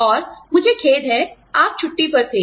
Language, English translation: Hindi, And, i am sorry, you were on leave